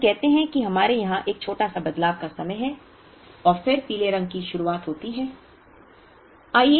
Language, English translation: Hindi, So, let us say we have a small changeover time here and then the yellow begins